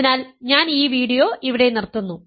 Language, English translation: Malayalam, So, I will stop this video here